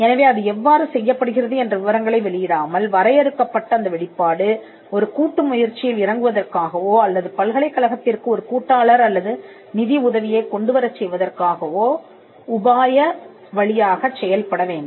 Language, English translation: Tamil, So, the limited broad disclosure without disclosing the details of how it is being done should work as a strategic disclosure for instance for getting into a joint venture agreement or to bring a partner or funding for the university